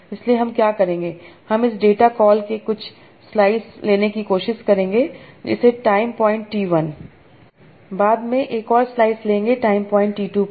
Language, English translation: Hindi, I will try to take some slice of this data, call it time point T1, take another slice later on time point T2